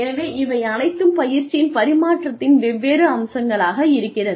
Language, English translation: Tamil, So, all of these are, different aspects of transfer of training